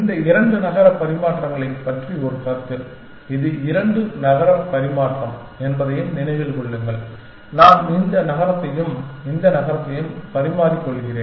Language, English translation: Tamil, Just a quite comment about these two city exchange, remember this was the two city exchange, I exchange this city and this city